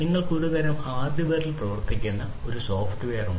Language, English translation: Malayalam, So, you have some kind of software that is working on some kind of hardware